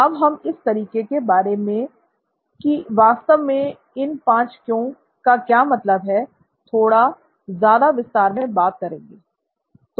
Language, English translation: Hindi, We are going to deal with this method in a little more detail as to what these 5 Whys actually means